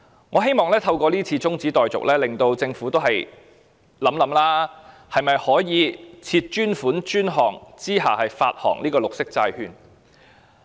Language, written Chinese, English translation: Cantonese, 我希望透過中止待續議案，令政府想一想是否可以設立專款專項來發行綠色債券。, I wish to through the adjournment motion make the Government think again if it is possible to issue green bonds in pursuance of the principle of dedicated funding for dedicated purposes